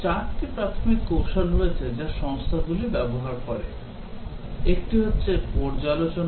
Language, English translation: Bengali, There are 4 primary techniques that companies use, one is review